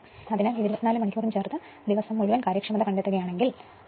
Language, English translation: Malayalam, So, total if you addit 24 hours right and find all day efficiency